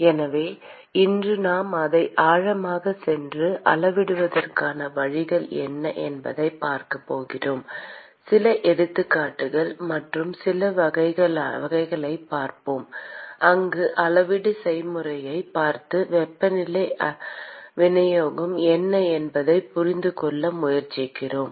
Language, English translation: Tamil, So, we are going to go deep into that today and look at what are the ways to quantify and look at certain examples and certain types where we can look at the quantification process and try to understand what is the temperature distribution